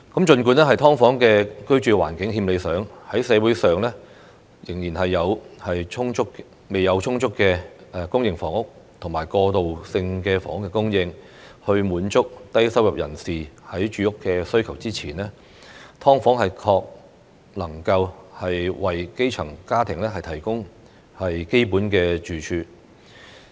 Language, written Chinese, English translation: Cantonese, 儘管"劏房"的居住環境欠理想，但在社會上仍然未有充足公營房屋和過渡性房屋供應以滿足低收入人士的住屋需求之前，"劏房"確能為基層家庭提供基本住處。, Despite the unsatisfactory living environment of SDUs these units can provide basic accommodation for grass - roots families before there is an adequate supply of public housing and transitional housing in society to meet the housing needs of low - income earners